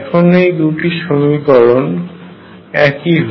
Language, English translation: Bengali, Now, these 2 equations are exactly the same